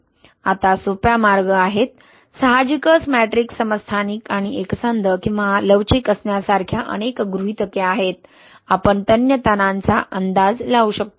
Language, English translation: Marathi, Now, there are simple ways, obviously there are a lot of assumptions like matrix being isotropic and homogeneous, right, or elastic